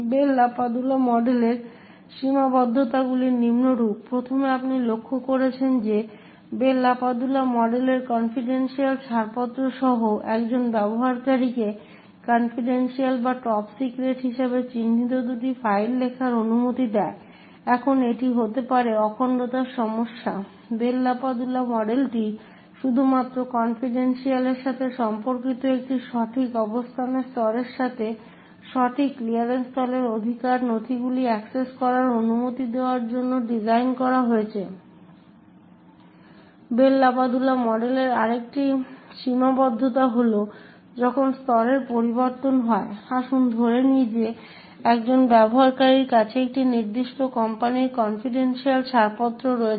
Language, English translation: Bengali, The limitations of the Bell LaPadula model is as follows, first as you would have noticed that the Bell LaPadula model permits a user with a clearance of confidential to write two files which is marked as secret or top secret, now this could cause integrity issues, the Bell LaPadula model is only concerned with confidentiality it is design to permit users with the right clearance level access right documents with the correct location level